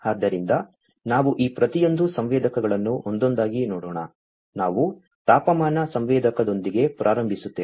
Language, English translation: Kannada, So, let us look at each of these sensors one by one so, we will start with the temperature sensor